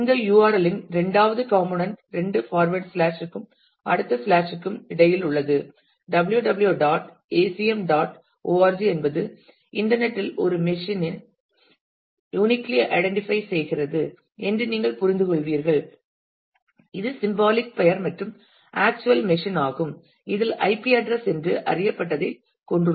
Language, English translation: Tamil, The second component in this URL which is between the two forward slash and the next slash www [dot] acm [dot] org identifies uniquely identifies a machine on the internet you will understand this is the symbolic name and the actual machine has what is known as an IP address